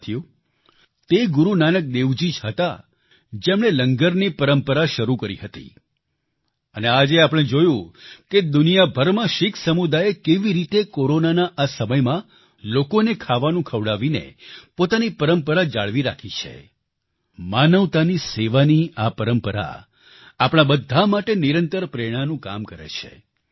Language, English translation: Gujarati, it was Guru Nanak Dev ji who started the tradition of Langar and we saw how the Sikh community all over the world continued the tradition of feeding people during this period of Corona , served humanity this tradition always keeps inspiring us